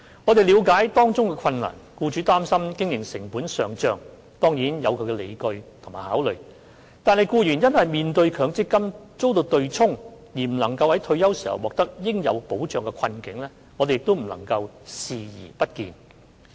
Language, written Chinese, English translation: Cantonese, 我們了解到當中的困難之處：僱主擔心經營成本上漲，當然有其理據及考慮；但僱員面對因強積金遭對沖而未能在退休時獲得應有保障，我們亦不能對他們的困境視而不見。, We understand the difficulties involved employers naturally have their reasons and concerns about rising operating costs; whereas for employees who are unable to receive proper protection upon retirement due to the offsetting of their MPF benefits we cannot turn a blind eye to their predicament